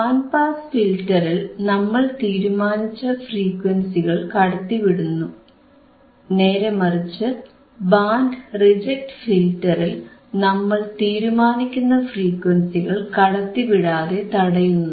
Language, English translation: Malayalam, In band pass filter, we are passing the band of frequencies of desired frequencies, but when we talk about band reject filter, then we are designing a filter that will reject the band of frequencies